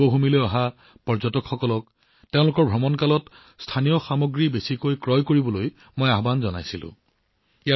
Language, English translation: Assamese, I had appealed to the tourists coming to Devbhoomi to buy as many local products as possible during their visit